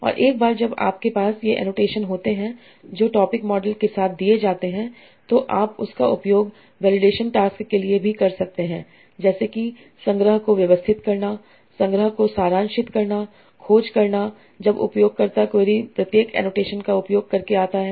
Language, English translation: Hindi, And once you have these annotations that are given with the topic model, you can use that for very different tasks like organizing the collection, summarizing the collection, searching when the user query comes by using these annotations